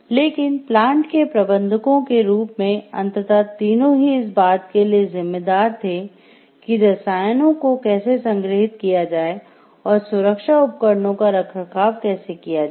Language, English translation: Hindi, But as the managers of the plant the 3 were ultimately responsible for the chemicals were stored and for the maintenance of the safety equipment